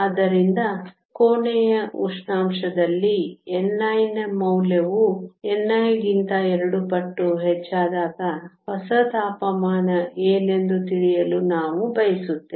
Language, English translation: Kannada, So, we want to know what the new temperature is when your value of n i is 2 times the n i at room temperature